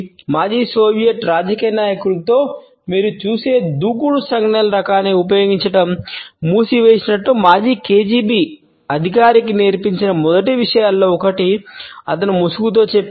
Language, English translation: Telugu, He has told the mask out times one of the first things he taught the former KGB officer was just quit using the type of the aggressive gestures you will see in former Soviet politicians